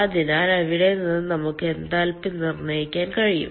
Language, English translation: Malayalam, so from there we can determine the enthalpy